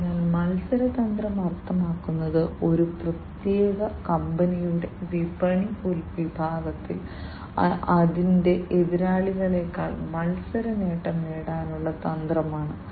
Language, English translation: Malayalam, So, competitive strategy means, the strategy of a particular company to gain competitive advantage over its competitors, in the market segment